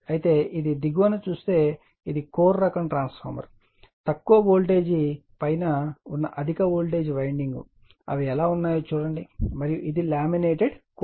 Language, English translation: Telugu, But if you look into that that lower that is this is core this is core type transformer that low voltage winding an above that your high voltage winding how they are there and this is laminated core